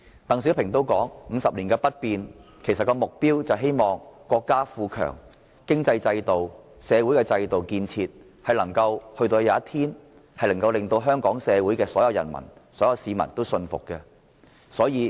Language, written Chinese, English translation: Cantonese, 鄧小平所說的 "50 年不變"，目標其實是希望待國家富強後，國內的經濟制度、社會制度和建設終有一天能令香港所有市民信服。, When DENG Xiaoping said that Hong Kong would remain unchanged for 50 years he looked forward to the day when all people in Hong Kong would have trust in the economic system social regime and development of the Mainland after our country became strong and prosperous